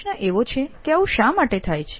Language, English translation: Gujarati, The question why this happens